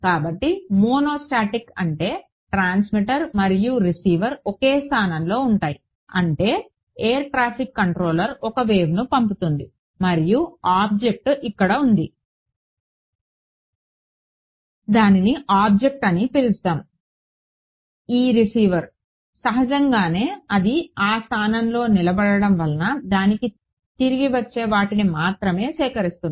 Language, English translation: Telugu, So, monostatic means transmitter and receiver same position; that means, this air traffic controller sends a wave and the object is over here let us just call it object, this receiver the; obviously, because its standing at that position it only gets only collects what is coming back to it